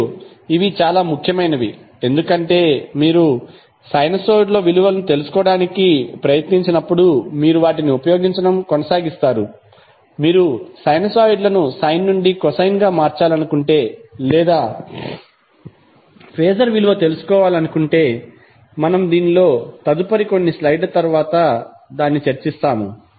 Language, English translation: Telugu, And these are very important because you will keep on using them when you try to find out the value of sinusoid like if you want to change sinusoid from sine to cosine or if you want to find out the value of phases which we will discuss in next few slides